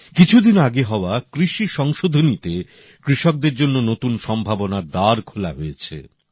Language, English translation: Bengali, The agricultural reforms in the past few days have also now opened new doors of possibilities for our farmers